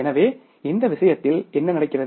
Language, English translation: Tamil, So, what we do in this case